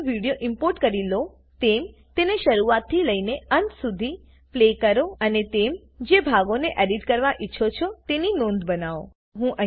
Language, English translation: Gujarati, Once you have imported the video, play it from start to finish and make a note of the portions that you want to edit